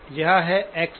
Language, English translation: Hindi, This is X of 0